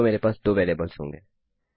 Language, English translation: Hindi, So, I will have 2 variables